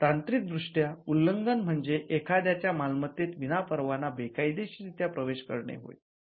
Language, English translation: Marathi, Infringement technically means trespass is getting into the property of someone else